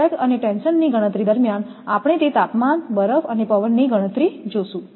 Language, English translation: Gujarati, During that sag and tension calculation we will see that temperature, this ice and wind calculation